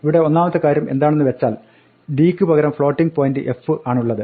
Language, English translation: Malayalam, Now here first thing is that we have instead of d we have f for floating point